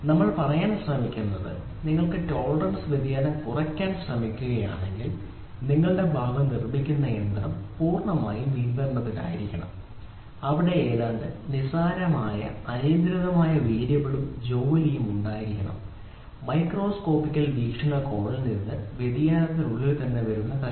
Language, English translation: Malayalam, So, what we are trying to say is we are trying to say that if you are trying to reduce the tolerance variation then your machine whatever produces machine whatever produces the part there has to be completely under control where there has to be almost negligible uncontrollable variable and the work piece which comes inside variation from the microscopical point of view